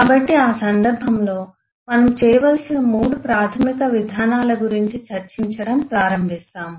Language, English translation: Telugu, so in that eh context, we start discussing about the three basic approaches that we need to do